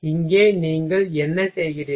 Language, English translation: Tamil, Here what you are doing